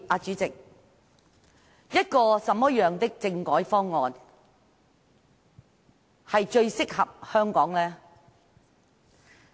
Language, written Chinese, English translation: Cantonese, 主席，一個怎麼樣的政改方案最適合香港呢？, President what should be the most suitable constitutional reform package for Hong Kong?